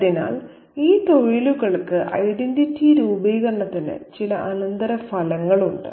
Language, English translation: Malayalam, So, these professions have certain consequences for identity formation